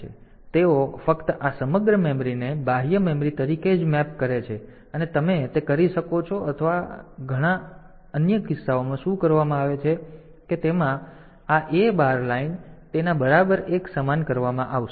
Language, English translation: Gujarati, So, they just map this external a entire memory as the external memory only and you can do that or in many or in some other cases what is done is this a bar line equal to it will be made equal to one